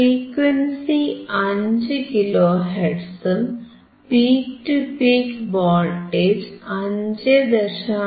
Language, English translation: Malayalam, The frequency is 5 kilo hertz, peak to peak voltage is 5